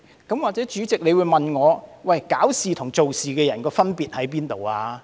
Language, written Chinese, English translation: Cantonese, 也許主席會問我，搞事與做事的人有甚麼分別？, President you may ask me what the difference is between trouble - makers and people who do their jobs